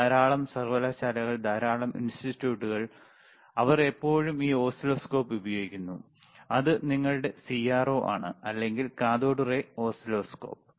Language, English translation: Malayalam, Lot of universities, lot of institutes, they still use this oscilloscope, which is your CRO, all right, or cathode ray oscilloscope